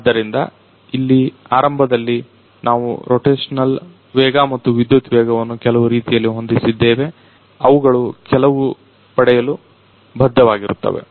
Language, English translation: Kannada, So, here initially we have set the rotational speed and power speed in such a way, that they are bound to get some